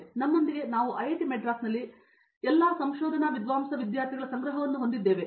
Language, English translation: Kannada, We have with us a collection of students they are all research scholars here at IIT Madras